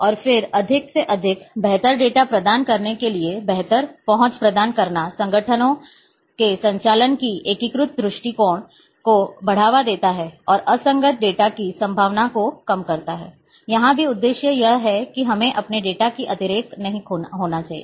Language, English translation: Hindi, And then provide better access to more and better manage data promotes integrated view of organizations operations and reduce the reduces the probability of inconsistent data here also the purpose here is that we should not have redundancy in our data